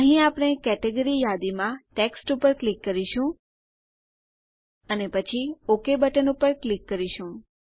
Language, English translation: Gujarati, Here we will click on Text in the Category list And then click on the OK button